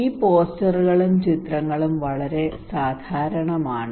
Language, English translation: Malayalam, These posters, these pictures are very common right